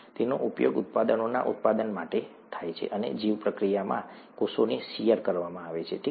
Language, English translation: Gujarati, They are used to produce products, and in the bioreactor, the cells are subjected to shear, okay